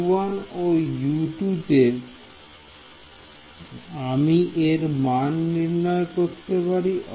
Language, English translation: Bengali, At U 1 and U 2 is where I have to evaluate this ok